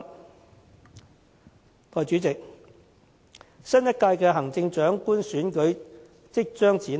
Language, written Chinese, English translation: Cantonese, 代理主席，新一屆行政長官選舉即將展開。, Deputy President the next Chief Executive Election is fast approaching